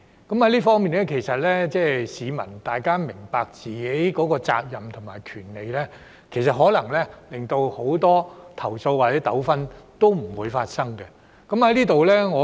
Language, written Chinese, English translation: Cantonese, 就這方面，如果市民明白自己的責任和權利，很多投訴或糾紛可能不會發生。, In this regard if people understand their responsibilities and rights many complaints or disputes might not have occurred